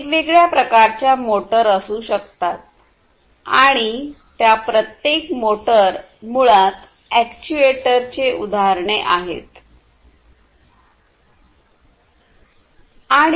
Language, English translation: Marathi, There could be different, different types of motors, and each of these is basically an actuator, examples of actuators